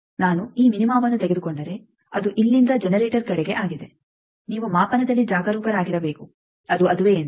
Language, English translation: Kannada, If I take these minima from here it is towards generator, that you need to be careful in the measurement that whether it is that